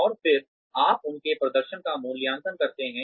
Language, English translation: Hindi, And then, you appraise their performance